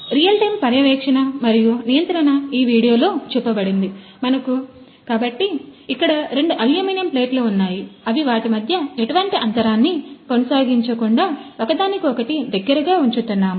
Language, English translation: Telugu, Real time monitoring and controlled video of this path, so we have here two aluminum plates which are being placed very close to each other without maintaining any gap between them